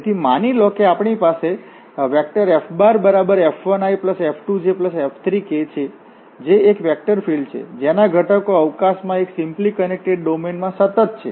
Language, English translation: Gujarati, So, suppose we have F 1, F 2, F 3 this a vector field whose components are continuous throughout a simply connected region D in space